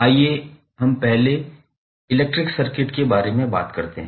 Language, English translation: Hindi, Let us talk about first the electric circuit